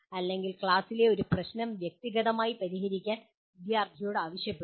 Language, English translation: Malayalam, Or asking individual student to solve a problem in the class